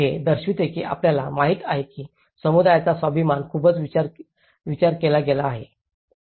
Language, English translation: Marathi, This shows that you know the community’s self esteem has been considered very much